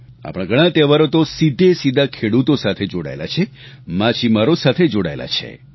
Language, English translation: Gujarati, Many of our festivals are linked straightaway with farmers and fishermen